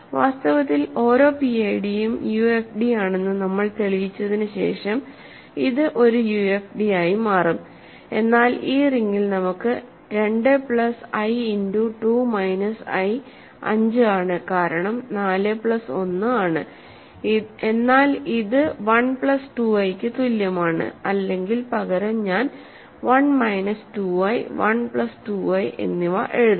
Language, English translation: Malayalam, In fact, it will turn out to be UFD also after we prove that every PID is a UFD, but in this ring we have 2 plus i times 2 minus i is 5 because 4 plus 1, but this is also equal to 1 plus 2 i or rather I will write maybe 1 minus 2 i and 1 plus 2i ok